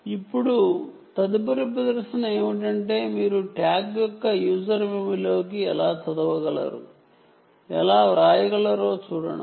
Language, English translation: Telugu, so now, next demonstration is to see how you can read and write into user memory of the tag